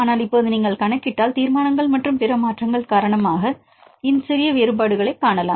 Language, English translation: Tamil, But if you calculate now you can see this little bit differences because of the resolutions and other changes